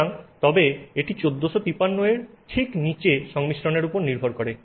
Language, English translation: Bengali, So, but that is not exactly below 1453 it depends on composition